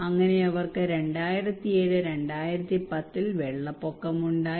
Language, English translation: Malayalam, So they had a flood in 2007 2010